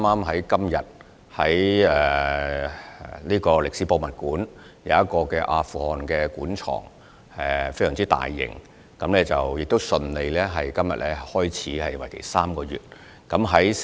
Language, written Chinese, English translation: Cantonese, 香港歷史博物館今天順利展開一個大型的阿富汗古文物專題展覽，為期3個月。, The Hong Kong Museum of History successfully launched a three - month special exhibition on Ancient Artefacts of Afghanistan today